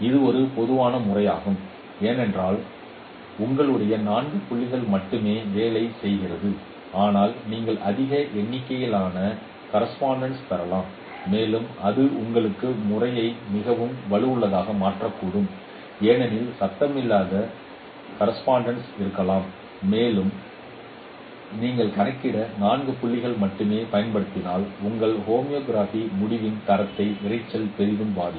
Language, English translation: Tamil, It is a general method because you are working with only four point correspondences but you may get more number of observations and you may that would make your method more robust because there could be noisy observations and if you just use only four points to compute homography that noise will heavily affect the quality of your result